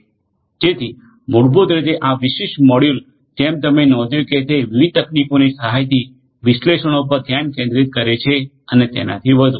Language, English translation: Gujarati, So, basically this is this particular module as you have noticed focuses on analytics right analytics with the help of different different technologies and so on